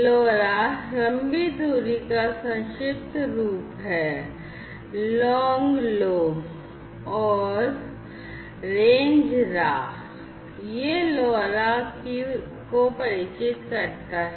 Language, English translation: Hindi, Lora is a short form of long range; long Lo, and range Ra so that is how this LoRa is has been acronymed